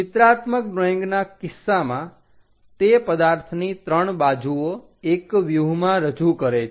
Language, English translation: Gujarati, In the case of pictorial drawing it represents 3 sides of an object in one view